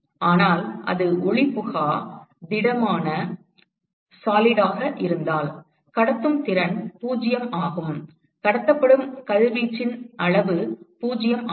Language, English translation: Tamil, But if it is opaque solid then the transmittivity is 0, the amount of radiation that is transmitted is 0